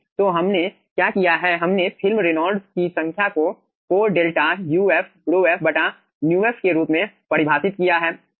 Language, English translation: Hindi, so what we have done, we have define the film reynolds number as 4 delta uf, rho f by mu f